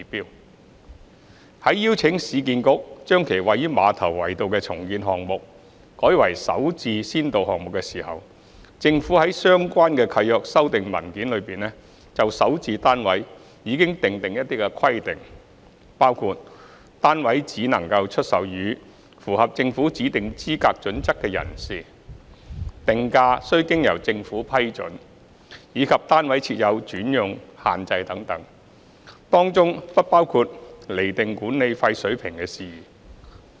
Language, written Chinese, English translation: Cantonese, 二在邀請市建局將其位於馬頭圍道的重建項目改為首置先導項目時，政府在相關契約修訂文件中就首置單位已訂定一些規定，包括單位只可出售予符合政府指定資格準則的人士、定價須經由政府批准，以及單位設有轉讓限制等，當中不包括釐定管理費水平的事宜。, 2 In inviting URA to assign its redevelopment project at Ma Tau Wai Road as SH pilot project the Government has specified certain requirements concerning SH units under the relevant lease modification document including that the units can only be sold to persons meeting the eligibility criteria specified by the Government the pricing should be subject to the approval by the Government and there should be alienation restrictions for the units etc while matters concerning the determination of management fee level are not included